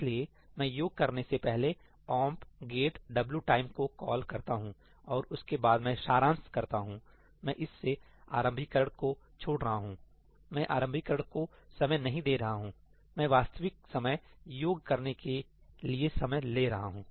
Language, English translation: Hindi, So, I make a call to omp get wtime before I do the summation and after I do the summation; I am leaving the initialization out of this , I am not timing the initialization, I am just timing the time it takes to do the actual addition , the summing